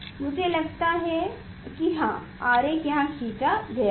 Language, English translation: Hindi, I think yes diagram is drawn here